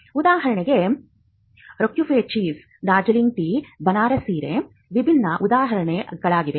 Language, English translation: Kannada, For instance, Roquefort cheese, Darjeeling tea, Banaras saree are different examples of the GI